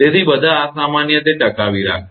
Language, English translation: Gujarati, So, all abnormal it will sustain